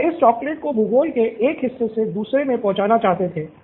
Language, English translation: Hindi, They wanted to transport this chocolates from one geography to another